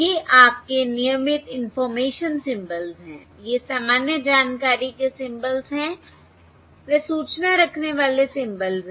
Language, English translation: Hindi, these are the normal information symbols, that is, the information bearing symbols